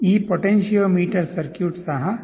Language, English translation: Kannada, This potentiometer circuit is also there